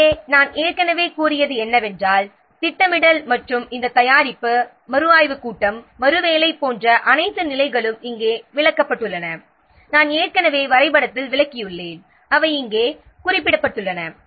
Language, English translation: Tamil, So, what I have already told that has been explained here all the stages like planning and this preparation review meeting rework I have already explained in the diagram they have been mentioned here